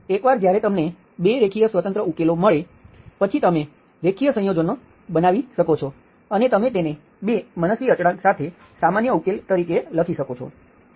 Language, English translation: Gujarati, So once you get 2 linearly independent solutions, you can make a linear combination and you can write it as general solution with 2 arbitrary constant